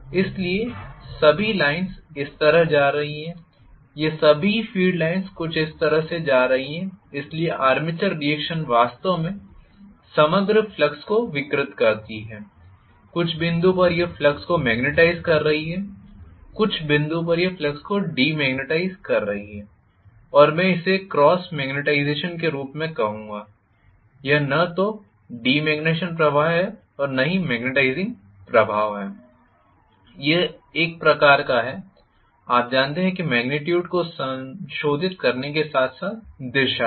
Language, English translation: Hindi, So, I am going to have all the lines rather going like this all the field lines are somewhat going like this, so the armature reaction actually distorts the overall flux, at some point it is magnetizing flux, at some point it is demagnetizing flux and I will called this as cross magnetization, it is neither demagnetizing effect nor magnetizing effect, it is kind of, you know, modifying the magnitude as well as direction